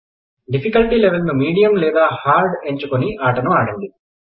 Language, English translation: Telugu, Change the difficulty level to Medium or Hard and play the game